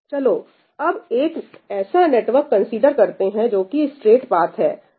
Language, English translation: Hindi, let us consider a network which is a straight path